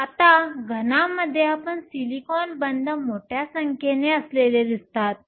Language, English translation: Marathi, Now, in a solid you are going to have large number of these silicon bonds